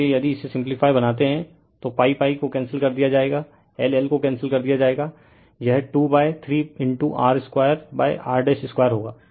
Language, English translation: Hindi, So, if you if you simplify this, so pi pi will be cancel, l l will be cancel, it will be 2 by 3 into r square by your r dash square